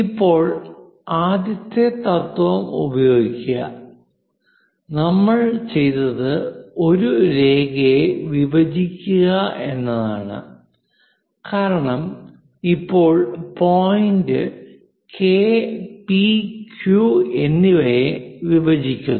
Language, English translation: Malayalam, Now, use the first principle; what we have done, how to bisect a line because now K point bisects P and Q